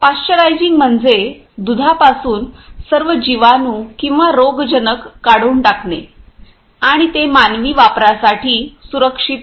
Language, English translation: Marathi, Pasteurising means removing all bacteria or pathogens from milk and make it safe to safe for human consumption